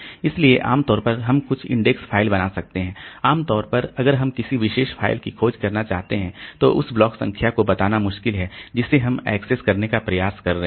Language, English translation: Hindi, So, normally if you want to search for a particular file, so it is difficult to tell the block number that we are trying to access